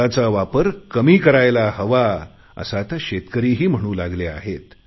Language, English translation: Marathi, Now even the farmers have started saying the use of fertilisers should be curtailed